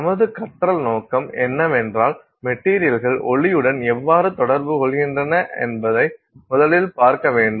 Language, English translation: Tamil, So, our learning objectives are we will first look at how materials interact with light